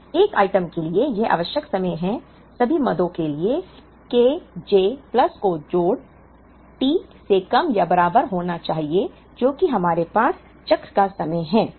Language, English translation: Hindi, So, for 1 item this is the time required, for all the items summation K j plus summation should be less than or equal to T which is the cycle time that we have